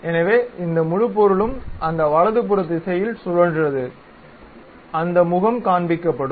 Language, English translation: Tamil, So, this entire object rotated in that rightward direction that is the face what it is shown